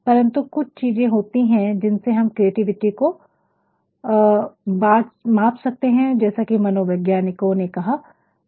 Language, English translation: Hindi, But, then there are certain things through which you can measure creativity assaid by psychologist